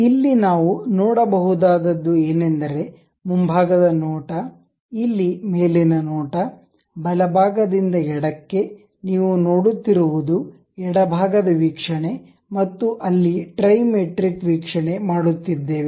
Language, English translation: Kannada, What we can see is something like front view here, top view here, from left side from right side to left side if you are seeing left side view what we are seeing there, and whatever the trimetric view